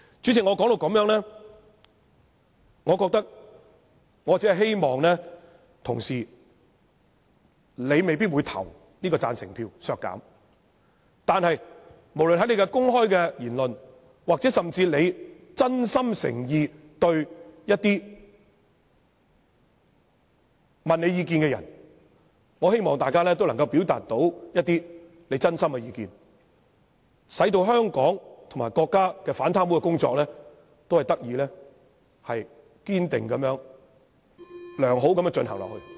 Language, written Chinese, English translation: Cantonese, 主席，雖然我知道很多同事未必會表決贊成削減有關的預算開支，但我希望他們在作出公開言論，或回答一些相關問題時，能夠表達一些真心的意見，令香港和國家的反貪污工作得以堅定和良好地繼續進行。, Chairman I know many Members may not vote in favour of the amendment seeking to cut the estimated expenditure concerned but I hope that they can speak their mind in making public comments or answering some related questions so that the anti - corruption work in Hong Kong and in our country can continue to be conducted unwaveringly and smoothly